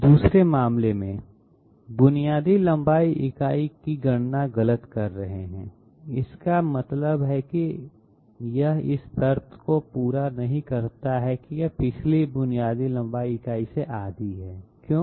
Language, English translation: Hindi, In the 2nd case, we are having calculation of basic length unit to be incorrect that means it does not fulfill the condition that it is half the previous basic length unit, why